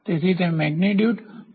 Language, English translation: Gujarati, So, it is magnitude versus time